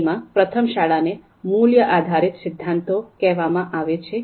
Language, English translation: Gujarati, So first one is called value based theories